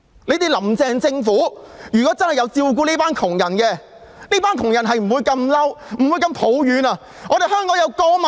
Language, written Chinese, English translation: Cantonese, 倘若"林鄭"政府真的有顧及這些窮人的話，他們便不會如此生氣和抱怨了。, The poor people would not have become so angry and have strong grievances if Carrie LAM Administration had had true regard for them